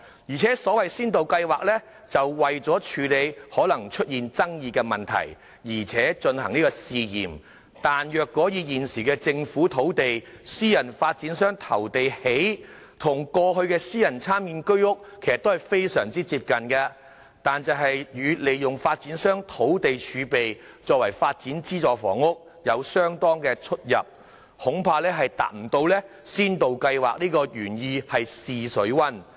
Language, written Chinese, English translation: Cantonese, 而且先導計劃是為了處理可能出現爭議的問題而進行試驗，但是，若以現時政府出地，私人發展商投地興建，與過去的私人參建居屋其實非常接近，但與利用發展商土地儲備為發展資助房屋有相當出入，恐怕未能達到先導計劃試水溫的原意。, Besides the pilot scheme was launched to try handling possible controversies but the current approach of private developers bidding and building on Government land is actually very similar to Private Sector Participation Scheme flats in the past . In contrast the approach is vastly different from developing subsidized housing by using the land reserve owned by developers thus it may fail to achieve the intention of the pilot scheme of testing the water I am afraid